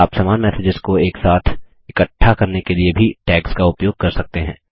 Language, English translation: Hindi, You can also use tags to group similar messages together